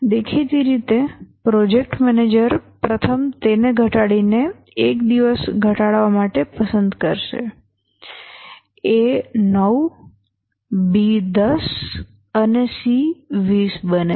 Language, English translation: Gujarati, Obviously the project manager will choose A to reduce at first, reduce it by one day, A becomes 9, B 10 and C20